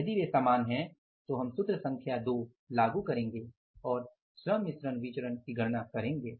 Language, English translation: Hindi, If it is same then we will apply the formula number 2 and calculate the labor mix variance